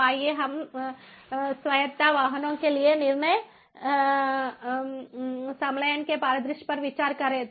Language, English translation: Hindi, so let us consider the scenario of decision fusion for autonomous vehicles